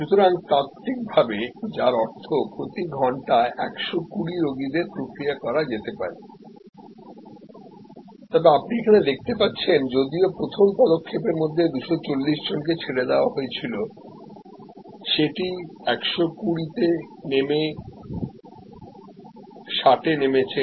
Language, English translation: Bengali, So, which means theoretically speaking 120 patients could be processed per hour, but as you can see here even though 240 people were let through the first step that drop to 120 that drop to 60